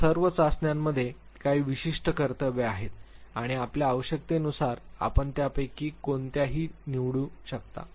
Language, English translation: Marathi, All of these tests have certain duties and depending on your need you can pick and chose any one of them